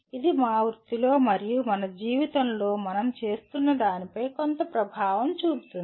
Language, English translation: Telugu, Which can have some impact on what we are doing both in our profession as well as in our life